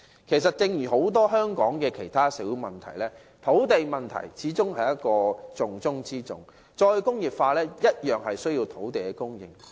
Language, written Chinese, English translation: Cantonese, 其實，在香港眾多社會問題當中，土地問題始終是重中之重；"再工業化"同樣需要土地供應。, In fact among the various social issues of Hong Kong the land problem has all along been the top priority . Re - industrialization also requires land supply